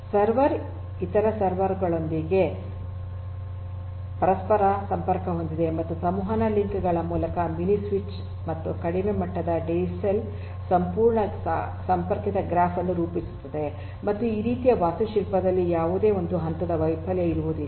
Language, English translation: Kannada, The server is interconnected to several other servers and a mini switch via communication links and a low level DCN sorry a low level DCell will form a fully connected graph and there would not be any single point of failure in this kind of architecture this is the advantage and also this kind of architecture is fault tolerant